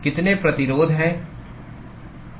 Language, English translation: Hindi, How many resistances are there